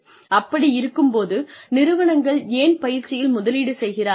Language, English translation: Tamil, So, why do they invest in training